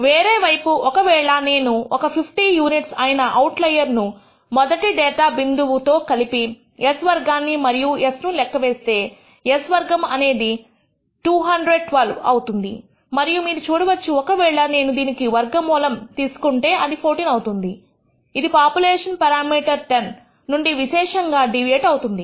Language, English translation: Telugu, On the other hand, if I add outlier of 50 units to the first data point and recompute s squared and s, it turns out s squared turns out to be 212 and you can see if I take the square root it might be around 14, which is signficantly deviating from the population parameter 10